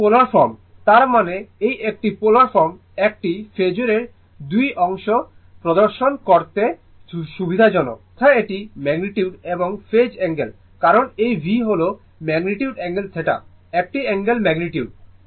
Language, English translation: Bengali, That polar form; that means, this one polar form is convenient to a to display 2 parts of a phasor namely it is magnitude and phase angle